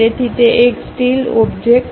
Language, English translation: Gujarati, So, it is a steel object